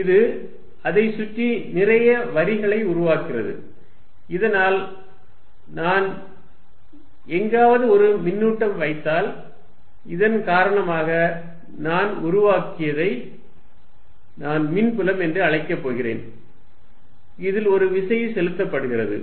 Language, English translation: Tamil, It creates a lot of lines around it, so that if I put a charge somewhere, because of this whatever I have created which I am going to call the electric field, a force is applied on this